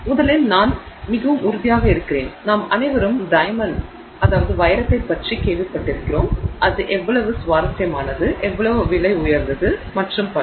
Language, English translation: Tamil, First of all, I am pretty sure we have all heard of diamond and you know how interesting it is and how expensive it is and so on